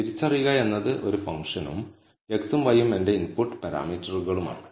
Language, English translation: Malayalam, So, identify is a function and x and y are my input parameters